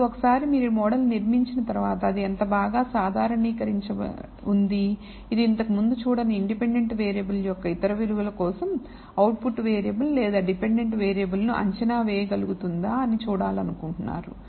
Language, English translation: Telugu, Now once you have built the model you would like to see how well does it generalize can it predict the output variable or the dependent variable for other values of the independent variable which you have not seen before